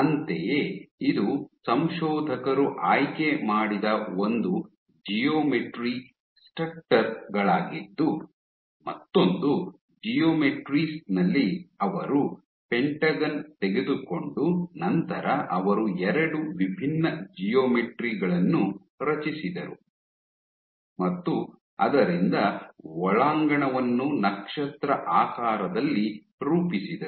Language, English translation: Kannada, Similarly, this was one set of geometry stutters that the authors chose, in another set of geometries what they did was they took a pentagon and then they generated 2 different geometries from it one in which they rounded the interior to form a star shaped or there